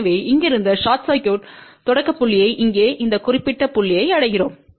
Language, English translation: Tamil, So, from short circuit starting point we reach to this particular point here